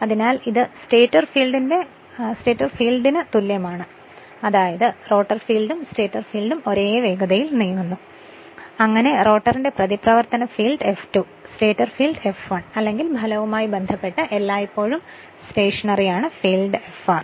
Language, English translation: Malayalam, So, that is same of the stator field that is rotor field and stator field both are moving at a same speed ns thus the reaction field F2 of the rotor is always stationery with respect to the stator field F1 or the resultant field Fr with respe[ct] with flux phi r per pole right